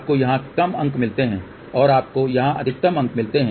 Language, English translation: Hindi, You get less marks here and you get maximum marks here